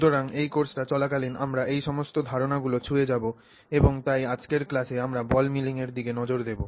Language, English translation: Bengali, So, all of these ideas and concepts we are touching upon as we go through this course and so in today's class we will look at ball milling